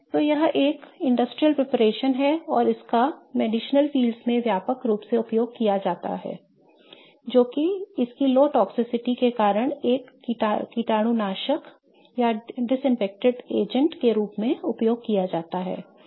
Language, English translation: Hindi, So, this is an industrial preparation and it's used widely across the medicinal fields as a disinfecting agent due to its low toxicity